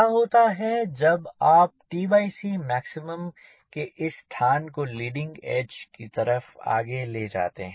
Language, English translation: Hindi, what happens if you move this location of t by c max followers to other leading it